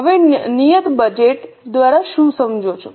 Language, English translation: Gujarati, Now, what do you understand by fixed budget